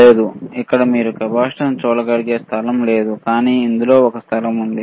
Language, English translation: Telugu, No, there is no place there you can see the capacitance, but in this there is a place